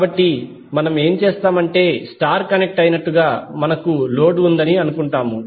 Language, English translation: Telugu, So what we will do we will assume that we have the load as star connected